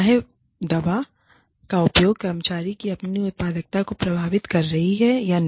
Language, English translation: Hindi, Whether it is, whether this drug use, is affecting the employee's own productivity